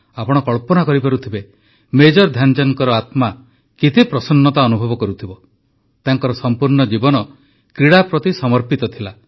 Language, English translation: Odia, You can imagine…wherever Major Dhyanchand ji might be…his heart, his soul must be overflowing with joy